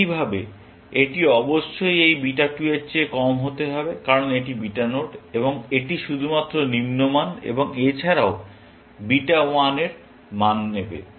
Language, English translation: Bengali, Likewise, it must be less than this beta 2, because this is the beta node, and it is going to only take lower values and also, beta 1